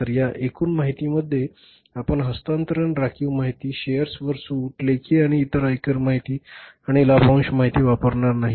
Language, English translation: Marathi, So, in this total information you will not be making use of the transport reserves information, discount on shares, written off and then the income tax information and the dividend information